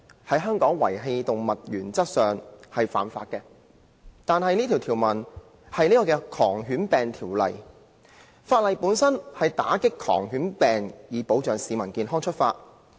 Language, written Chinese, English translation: Cantonese, 在香港遺棄動物原則上是犯法，但《狂犬病條例》旨在打擊狂犬病，以保障市民健康出發。, It is in principle illegal to abandon animals in Hong Kong but the Rabies Ordinance seeks to fight rabies for the protection of public health